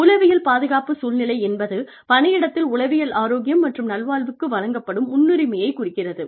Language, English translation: Tamil, Psychological safety climate represents, the priority given to psychological health and well being, in the workplace